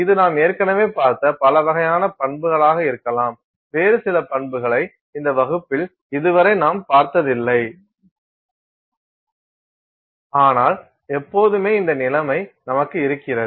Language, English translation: Tamil, It could be a range of properties that we have already seen, some other property that we have probably not looked at in this class so far, but almost always we have this situation